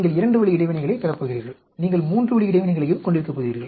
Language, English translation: Tamil, You are going to have two way interactions; you are also going to have three way interactions